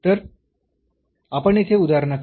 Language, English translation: Marathi, So, let us move to the example here